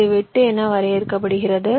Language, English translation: Tamil, this is defined as the cut